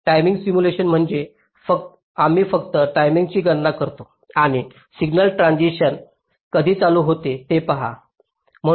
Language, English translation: Marathi, timing simulation means we simply calculate the times and see when signal transitions are talking place